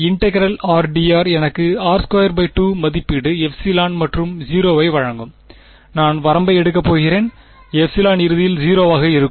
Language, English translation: Tamil, Integral r d r will give me r squared by 2 evaluated epsilon and 0; and I am going to take the limit epsilon tending to 0 eventually right